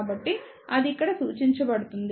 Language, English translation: Telugu, So, that is represented here